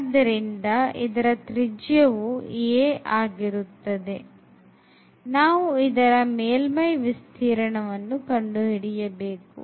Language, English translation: Kannada, So, the radius of the a sphere is a; so, we want to compute the surface area now